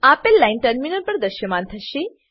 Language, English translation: Gujarati, The following line will be displayed on the terminal